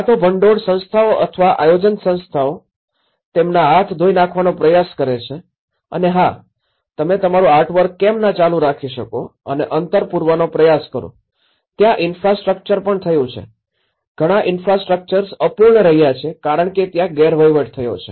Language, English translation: Gujarati, Either the funding institutions or the organizing institutions, they try to wash away their hands that yes, why donít you guys carry on with your artwork you know and try to fill the gap and also there has been infrastructure, many of the infrastructures has remained unfinished because there has been mismanagement